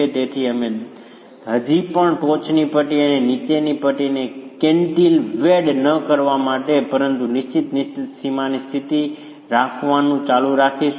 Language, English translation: Gujarati, So, you would still continue considering the top strip and the bottom strip not to be cantilevered but to have a fixed, fixed boundary condition